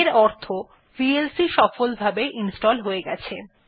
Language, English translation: Bengali, This means vlc has been successfully installed